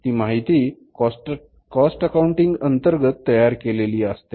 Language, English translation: Marathi, This information is developed under the cost accounting